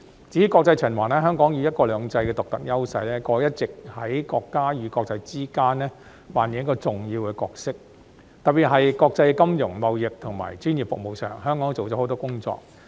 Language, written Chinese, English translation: Cantonese, 至於國際循環，香港以"一國兩制"的獨特優勢，過去一直在國家與國際之間扮演重要的角色，特別是國際金融、貿易及專業服務上，香港做了很多工作。, As for international circulation with its unique advantage of one country two systems Hong Kong has been playing an important role between the country and the rest of the world . Particularly Hong Kong has done a lot in the areas of international financial trading and professional services